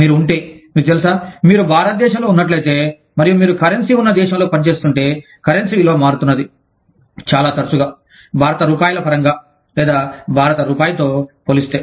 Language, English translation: Telugu, If you are, you know, if you are based in India, and you are operating in a country, where the currency is, the value of the currency is, changing, very frequently, in terms of Indian rupees, or, in comparison with the Indian rupee